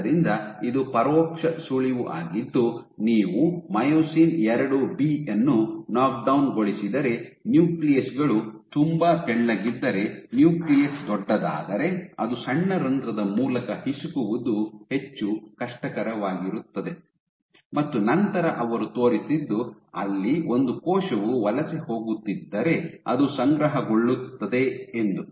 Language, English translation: Kannada, So, this was indirect hint that if as opposed to a nuclei been very thin if you knock down myosin IIB, if the nucleus becomes big then it will be that much more difficult to squeeze through a small pore and then they subsequently showed, that there is they subsequently showed that there is accumulation off